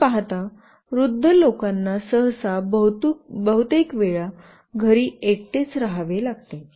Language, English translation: Marathi, You see when old people generally have to stay back in their house alone most of the time